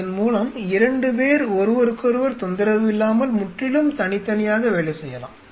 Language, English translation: Tamil, That way 2 people can work absolutely individually without disturbing each other